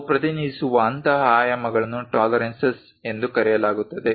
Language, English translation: Kannada, Such kind of dimensions what you represent are called tolerances